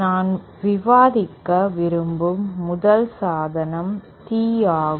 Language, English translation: Tamil, The 1st device that I would like to discuss is the Tee